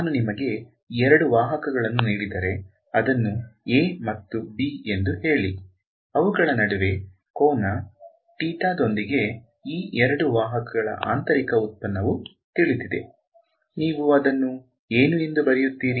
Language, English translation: Kannada, So, if I give you two vectors over here say a and b with some angle theta between them ,we all know the inner product of these two vectors is; what would you write it as